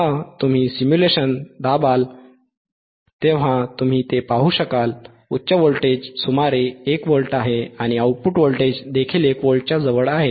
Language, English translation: Marathi, So, when you impress simulation you will be able to see that right now, high voltage is about 1 volt, and may output voltage is also close to 1 volt